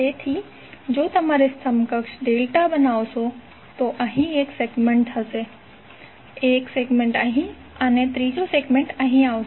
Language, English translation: Gujarati, So if you have to create equivalent delta there will be onE1 segment here, onE1 segment here and third segment would come here